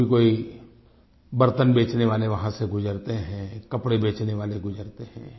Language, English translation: Hindi, Sometimes utensil hawkers and cloth sellers too pass by our homes